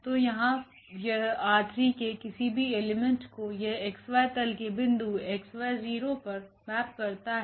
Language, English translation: Hindi, So, this any element here in R 3 it maps to this point in x y plain that is x y 0